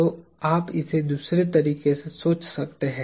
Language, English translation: Hindi, So, you could think of this another way